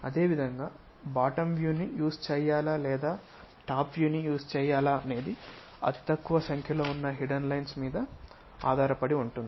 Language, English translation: Telugu, Similarly, whether to use bottom view or top view again fewest number of hidden lines we have to use